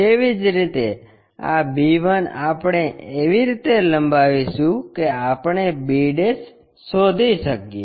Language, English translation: Gujarati, Similarly, this b 1 we are extending in such a way that we locate b'